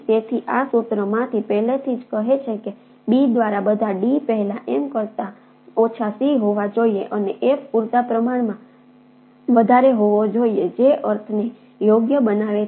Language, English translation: Gujarati, so ah, from this formula already say that, first of all, d by b should be must lesser, less than c by m, and f should be sufficiently higher, which makes sense, right